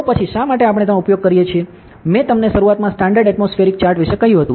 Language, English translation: Gujarati, Then why we use this is, I told you initially about the standard atmospheric chart rate